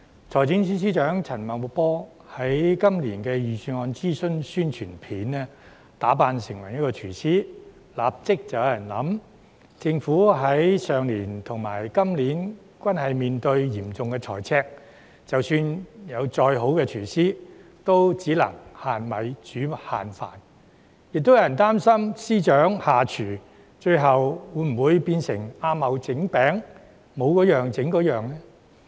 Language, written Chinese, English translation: Cantonese, 財政司司長陳茂波在今年的財政預算案諮詢宣傳片中打扮成廚師，立即有人想到，政府去年和今年均面對嚴重財赤，即使有再好的廚師，也只能"限米煮限飯"；亦有人擔心司長下廚，最終會否變成"阿茂整餅，冇嗰樣整嗰樣"？, Financial Secretary FS Paul CHAN dressed up as a chef in the publicity videos for Budget consultation this year . Some people immediately have the thought that in the face of severe fiscal deficits this year and the year before even the best chef of the Government can only prepare meals with limited ingredients . Some people even worried whether FS as a chef would turn out to be Ah Mo making cakes ie